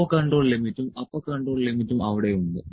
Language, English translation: Malayalam, Upper control limit and lower control limit is there